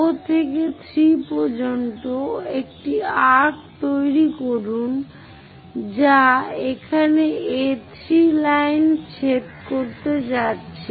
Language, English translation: Bengali, From O to 3 make an arc such that is going to intersect A3 line here